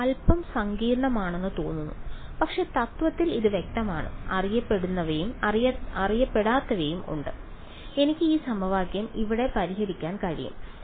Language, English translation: Malayalam, It looks a little complicated, but in principle its clear there are knowns and there are unknowns I can solve this equation over here ok